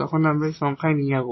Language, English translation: Bengali, So, we will use this formula